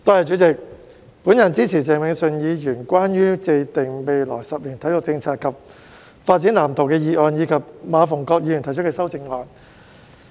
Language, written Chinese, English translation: Cantonese, 代理主席，我支持鄭泳舜議員關於"制訂未來十年體育政策及發展藍圖"的議案，以及馬逢國議員提出的修正案。, Deputy President I support Mr Vincent CHENGs motion on Formulating sports policy and development blueprint over the coming decade and the amendment proposed by Mr MA Fung - kwok